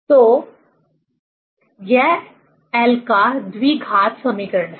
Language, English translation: Hindi, So, this is a quadratic equation of l